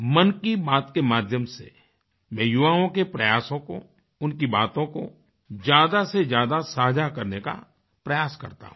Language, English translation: Hindi, I try to share the efforts and achievements of the youth as much as possible through "Mann Ki Baat"